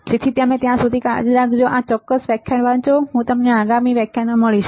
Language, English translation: Gujarati, So, till then you take care; read this particular lecture, and I will see you in the next lecture